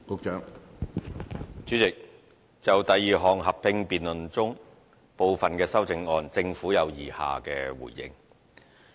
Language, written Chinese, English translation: Cantonese, 主席，就第二項合併辯論中，部分的修正案，政府有以下的回應。, Chairman the Government has the following response to some amendments in the second joint debate